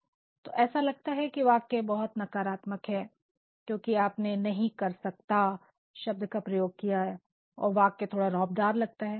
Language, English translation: Hindi, So, it appears that the sentence is negative because you have made use of the word cannot and also the sentence is a bit imposing